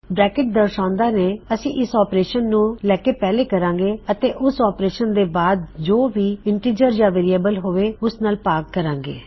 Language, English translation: Punjabi, The brackets will say well take this operation first, do whatever is in here and then continue to divide by whatever this could be an integer or a variable